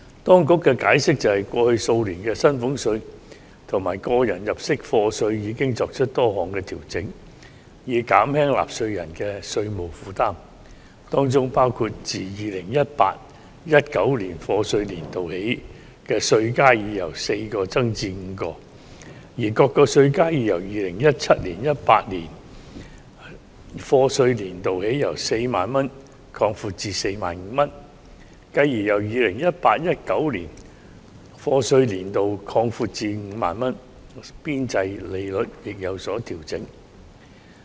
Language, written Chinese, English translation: Cantonese, 當局解釋，過去數年薪俸稅及個人入息課稅已作出多項調整，以減輕納稅人的稅務負擔，包括自 2018-2019 課稅年度起稅階已由4個增至5個，而各個稅階已由 2017-2018 課稅年度起由 40,000 元擴闊至 45,000 元，繼而由 2018-2019 課稅年度起擴闊至 50,000 元，邊際稅率亦有所調整。, According to the Administrations explanation a number of adjustments have been made in the past few years to salaries tax and tax under personal assessment in order to alleviate the fiscal burden on taxpayers . For instance the number of tax bands was increased from four to five since the year of assessment 2018 - 2019 and the width of tax bands was widened from 40,000 to 45,000 in the year of assessment 2017 - 2018 which was further widened to 50,000 in the year of assessment 2018 - 2019 with adjustments also made to marginal tax rates